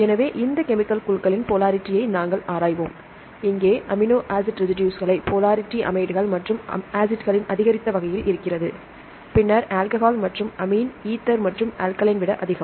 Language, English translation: Tamil, So, we look into the polarity of these chemical groups, here I give the amino acid residues within an increased order of polarity, amides and the acid then alcohol and the amine is more than ether and alkaline